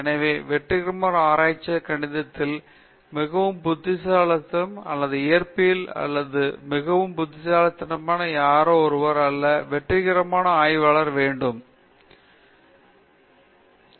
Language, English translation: Tamil, So, the successful researcher is not somebody who is just very brilliant in Maths or very brilliant in Physics or whatever; the successful researcher is one who has the ability to keep on generating new ideas throughout his life time okay